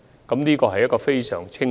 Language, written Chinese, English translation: Cantonese, 這個政策非常清晰。, The policy is very clear